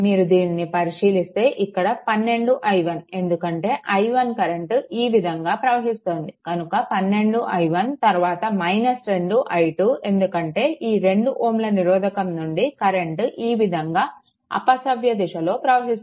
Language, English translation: Telugu, So, it will be look into that it will be 12 i 1, because i 1 is flowing like this 12 i 1, then it will be minus 2 i, 2 because i 2 is moving like this, but we are moving anticlockwise